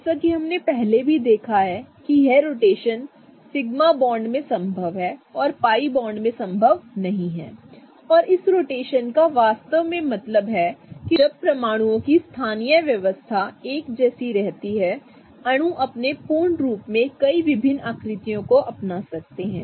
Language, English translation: Hindi, This rotation is possible about sigma bonds and not really possible about pi bonds as we have seen before and this rotation really means that while the localized arrangement of atoms stays the same, the molecule as a whole can adopt a number of different shapes